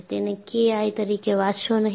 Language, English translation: Gujarati, Do not read it as k i